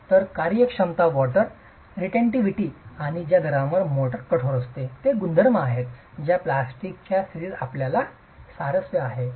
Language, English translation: Marathi, So, workability, water retentivity and the rate at which the motor hardens our properties that from the plastic state you are interested in capturing